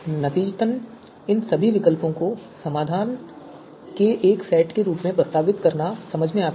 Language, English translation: Hindi, So therefore it makes sense to you know propose all these alternatives as the you know set of you know you know solution